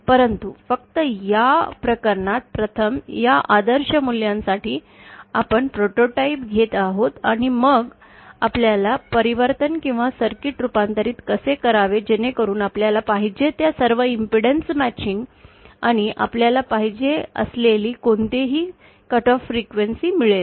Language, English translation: Marathi, But just for this case, 1st we will be deriving our prototypes for these idealised values and then we shall be finding the transformation or how to transform the circuit so that we get whatever impedance matching we want and whatever cut off frequency that we want